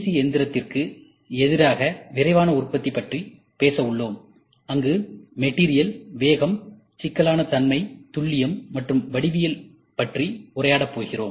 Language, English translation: Tamil, And finally, we will try to talk about rapid manufacturing versus CNC machining, where and which we talk about material, speed, complexity, accuracy, and geometry